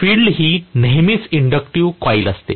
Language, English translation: Marathi, Field is always inductive coil